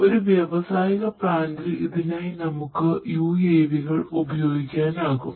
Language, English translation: Malayalam, , in an industrial plant, you know you could use these UAVs